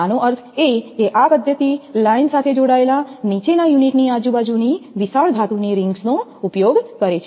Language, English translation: Gujarati, This that means, this method uses a large metal rings surrounding the bottom unit connected to the line